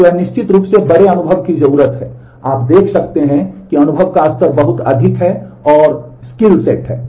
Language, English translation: Hindi, So, that needs certainly bigger experience it can, you can see that experience level is much higher and the skill sets